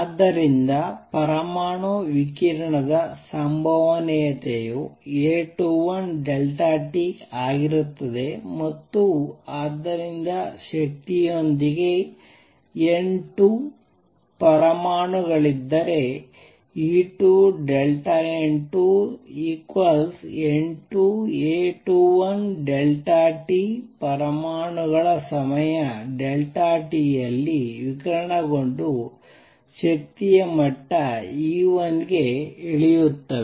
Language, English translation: Kannada, So, the probability of the atom radiating is going to be A 21 delta t and therefore, if there are N 2 atoms with energy E 2 delta N 2 equals N 2 times A 21 delta t atoms would have radiated in time delta t and come down to energy level E 1